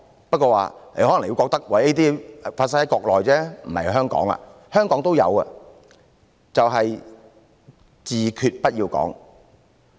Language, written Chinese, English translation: Cantonese, 不過可能你會認為這些只是適用於國內，不適用於香港，其實香港也有，就是"自決"不要講。, However you may think that these rules are applicable only to the Mainland but not Hong Kong . In fact there are also such rules in Hong Kong that is do not talk about self - determination